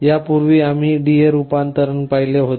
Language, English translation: Marathi, Earlier we had looked at D/A conversion